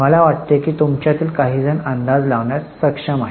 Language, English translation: Marathi, I think some of you are able to guess it